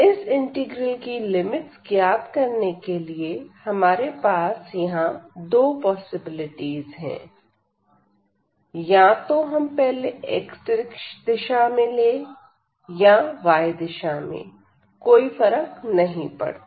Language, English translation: Hindi, So, the limits of this integral; here we have the possibility whether we take first in the direction of x and then in the direction of y it does not matter